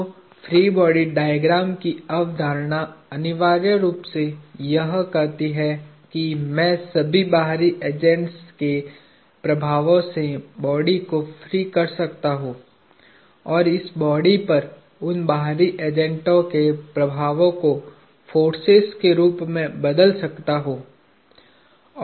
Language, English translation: Hindi, So, the concept of a free body diagram essentially says I can free the body of all external agents and replace the action of those external agents on this body as forces